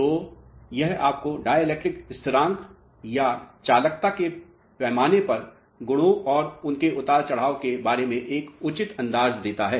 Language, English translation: Hindi, So, this gives you a fair idea about the properties and their fluctuation on a scale of dielectric constant or the conductivity